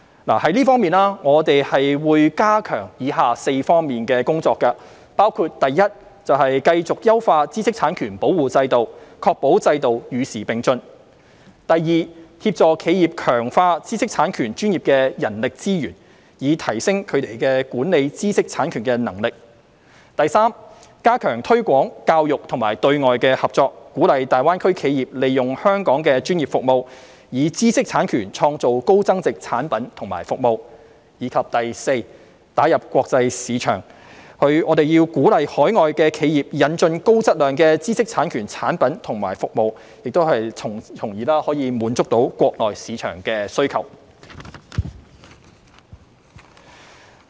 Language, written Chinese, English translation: Cantonese, 就這方面，我們會加強以下4方面的工作，包括一繼續優化知識產權保護制度，確保制度與時並進；二協助企業強化知識產權專業的人力資源，以提升它們管理知識產權的能力；三加強推廣、教育和對外合作，鼓勵粵港澳大灣區企業利用香港的專業服務，以知識產權創造高增值產品及服務；及四打入國際市場，我們要鼓勵海外企業引進高質量知識產權產品及服務，從而滿足國內市場的需求。, In this connection we will step up our efforts in the following four areas including i continuing to enhance the IP protection regime to keep it abreast with the times; ii assisting enterprises to strengthen their IP professional manpower capacity with a view to enhancing their IP management capability; iii strengthening promotion education and external collaboration to encourage enterprises in the Guangdong - Hong Kong - Macao Greater Bay Area GBA to use Hong Kongs professional services and IP to create high value - added products and services; and iv entering the international market and encouraging overseas enterprises to import high - quality IP products and services to meet the demand of the Mainland market